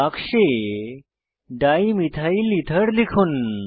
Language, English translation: Bengali, Type Dimethylether in the box